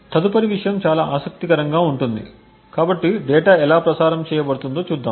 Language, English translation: Telugu, The next thing would be quite interesting so we would look at how the data is being transmitted